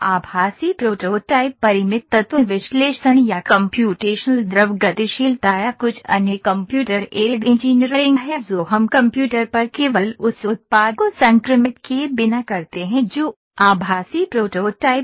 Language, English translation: Hindi, Virtual prototyping is the Finite Element Analysis or computational fluid dynamics or certain other Computer Aided Engineering that we do only on the computer without actually infecting the product that is virtual prototype